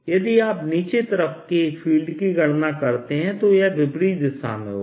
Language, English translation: Hindi, if you calculate the field on the other side, the lower side, here this will be opposite direction